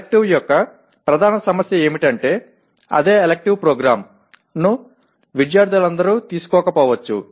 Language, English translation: Telugu, The main issue of elective is same elective may not be taken by all the students of the program